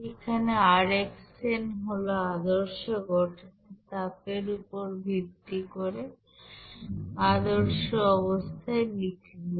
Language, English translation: Bengali, Here rxn that is reaction at standard condition based on standard heat of formation, okay